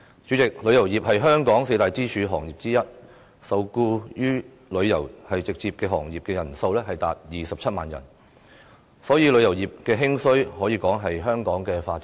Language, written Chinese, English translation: Cantonese, 主席，旅遊業是香港四大支柱行業之一，直接受僱於旅遊業的人數達27萬人，所以，旅遊業的興衰可說是香港的發展命脈。, President the tourism industry is one of the four pillar industries of Hong Kong with 270 000 people directly employed . Therefore the rise and fall of the tourism industry is regarded as the lifeline to the development of Hong Kong